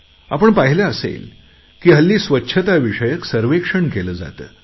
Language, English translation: Marathi, You might have seen that a cleanliness survey campaign is also carried out these days